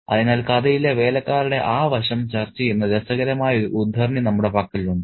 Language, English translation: Malayalam, So, we have a really interesting extract which discusses that aspect of the servants in the story